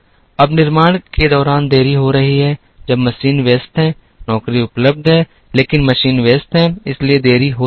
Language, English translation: Hindi, Now, there are delays caused during the manufacture when the machine is busy, the job is available, but the machine is busy, so there can be delays